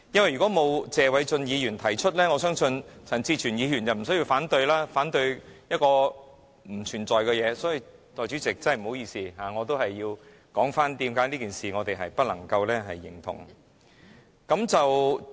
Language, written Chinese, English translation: Cantonese, 如果謝偉俊議員沒有提出議案，我相信陳志全議員便無需反對不存在的事情，所以代理主席，真的不好意思，我仍要繼續說我們為何不能認同此事。, Had Mr Paul TSE not proposed his motion I believe Mr CHAN Chi - chuen would not have found it necessary to oppose something which did not exist . Hence Deputy President I am really sorry that I have to continue to explain why we cannot approve of this matter